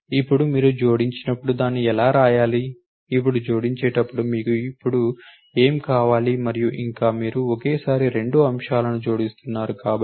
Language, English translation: Telugu, Now, how you are suppose to write it when you add so, what you need now when you adding now, and yet, because you are adding two elements at a time